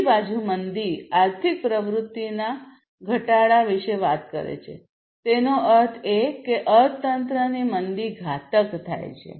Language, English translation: Gujarati, Recession on the other hand, talks about the decline in the economic activity recession; that means, slowing down, slowdown of the economy